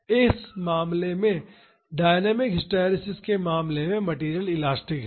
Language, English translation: Hindi, In this case in the case of dynamic hysteresis the material is elastic